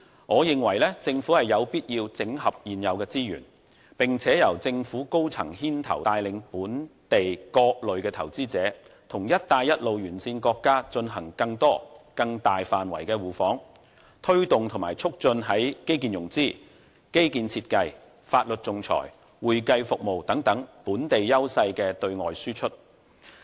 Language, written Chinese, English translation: Cantonese, 我認為政府有必要整合現有資源，並由政府高層牽頭帶領本地各類投資者與"一帶一路"沿線國家進行更多更大範圍的互訪，推動和促進在基建融資、基建設計、法律仲裁、會計服務等本地優勢的對外輸出。, I think the Government needs to integrate the existing resources and the top echelons of the Government should lead various local investors in the efforts to enlarge both the number and scope of mutual visits between Hong Kong and Belt and Road countries with a view to driving and promoting the export of those services of ours that enjoy an advantage such as infrastructure financing infrastructure design legal services and arbitration and accounting